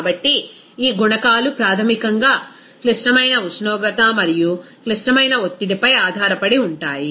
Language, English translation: Telugu, So, these coefficients basically depends on critical temperature and critical pressure